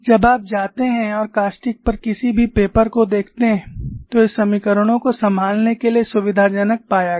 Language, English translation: Hindi, When you go and look at any paper on caustics these equations were found to be convenient to handle